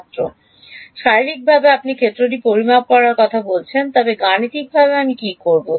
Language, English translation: Bengali, How in physically you are saying measure the field, but mathematically what do I do